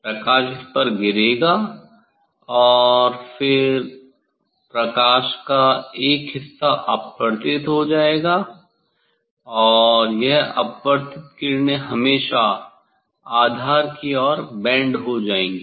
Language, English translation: Hindi, light will fall on it and then one part of the light will be refracted, and this refracted rays always goes towards the bend towards the base